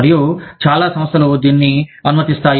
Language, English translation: Telugu, And, many organizations, permit this